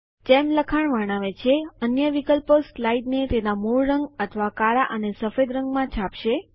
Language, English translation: Gujarati, As the text describes, the other options will print the slide in its original colour or in black and white